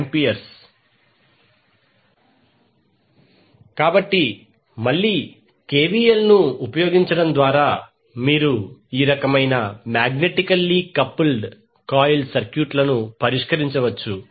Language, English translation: Telugu, So using KVL again you can solve the circuits where you see these kind of magnetically coupled coils